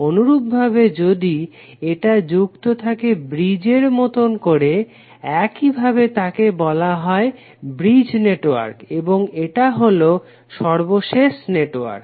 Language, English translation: Bengali, Similarly, if it is connected in bridge fashion like this, it is called bridge network and this is called the latest network